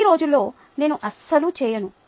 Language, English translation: Telugu, nowadays i dont do that at all